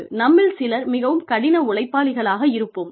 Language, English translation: Tamil, Some of us are, very, very, hard working